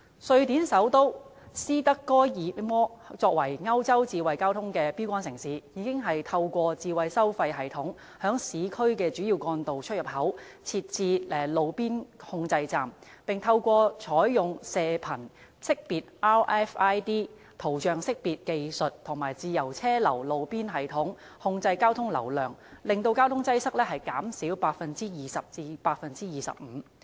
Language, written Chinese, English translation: Cantonese, 瑞典首都斯德哥爾摩作為歐洲智慧交通的標竿城市，已經透過智慧收費系統，在市區的主要幹道出入口設置路邊控制站，並透過採用射頻識別、圖像識別技術及自由車流路邊系統控制交通流量，使交通擠塞減少 20% 至 25%。, Being the first - tier smart mobility city in Europe Stockholm the capital city of Sweden has installed roadside control stations at the entrances and exits of main carriageways in urban areas through a smart charging system . Moreover it adopts radio frequency identification and image recognition technologies as well as free - flow roadside systems to control traffic flow and hence reduce traffic congestion by 20 % to 25 %